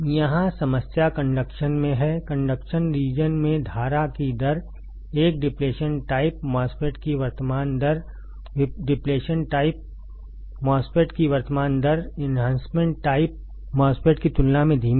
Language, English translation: Hindi, Here, the problem is in the conduction region; in the conduction region the rate of current, the current rate of a depletion type MOSFET; the current rate of an Depletion type MOSFET is slower than Enhancement type MOSFET